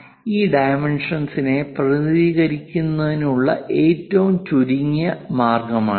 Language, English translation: Malayalam, So, this is the minimalistic way of representing this dimension